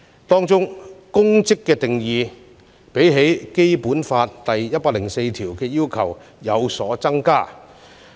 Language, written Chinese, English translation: Cantonese, 當中"公職"的定義，較《基本法》第一百零四條的要求有所增加。, In this Article the term public office has a wider meaning than in Article 104 of the Basic Law